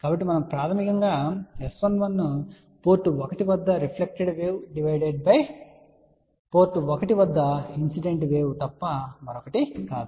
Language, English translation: Telugu, So, what we are basically saying S 11 is nothing but reflected wave at port 1 divided by incident wave at port 1